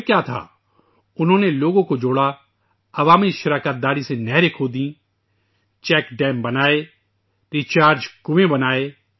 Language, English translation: Urdu, And then…lo and behold they got people connected, dug up canals through public participation, constructed check dams and rechargewells